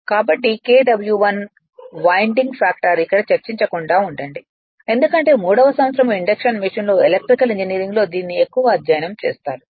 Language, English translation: Telugu, So, Kw1 is winding factor I am not discussing this here just you keep it in your mind, because more you will study in your electrical engineering in your third year induction machine